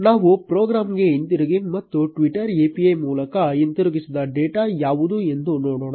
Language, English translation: Kannada, Let us go back to the program and see what is the data which actually exists returned by the twitter API